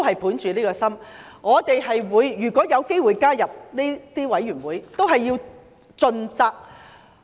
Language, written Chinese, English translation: Cantonese, 本着此心，我們如果有機會加入調查委員會，應盡責行事。, With this in mind if we have the opportunity to join the Investigation Committee we should act with due diligence